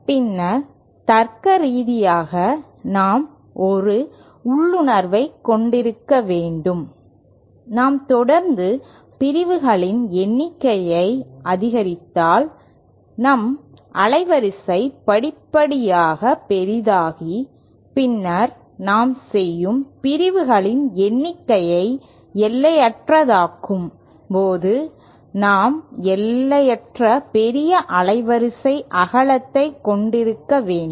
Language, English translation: Tamil, Then logically we should have an intuition that if we keep on increasing the number of sections then our bandwidth should go on progressively becoming larger and then when we make the number of sections as infinite we should have infinitely large band width